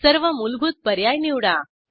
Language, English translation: Marathi, Choose all default options